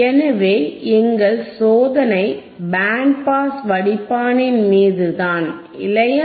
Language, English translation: Tamil, So, our experiment is on band pass filter, right